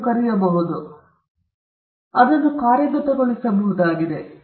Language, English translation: Kannada, So, the first thing is they are enforceable